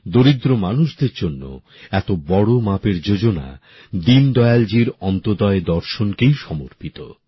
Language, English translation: Bengali, Such a massive scheme for the poor is dedicated to the Antyodaya philosophy of Deen Dayal ji